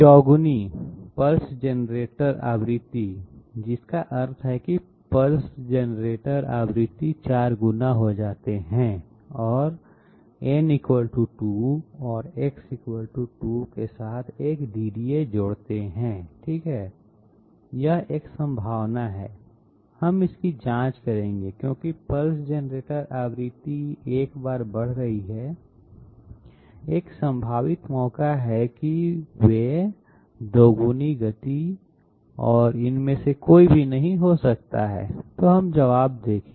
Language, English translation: Hindi, Quadruple pulse generator frequency that means make the pulse generator frequency 4 times and add a DDA with n = 2 and X = 2 okay, this has a possibility we will we will check this because pulse generator frequency once it is getting increased, there is a fair chance that they might be getting double the speed and none of the others, so let us see the answers